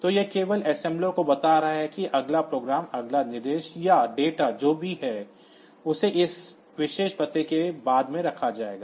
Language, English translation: Hindi, So, this is just telling the assembler that the next program the next instruction or data whatever it is